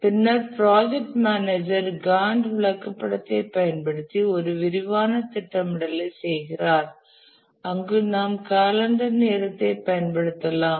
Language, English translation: Tamil, And later the project manager does a more detailed scheduling using the Gant chart where we use the calendar time